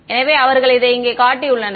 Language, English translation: Tamil, So, they have shown it over here